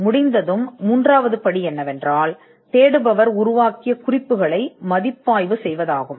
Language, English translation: Tamil, Once the search is done, the third step would be to review the references developed by the searcher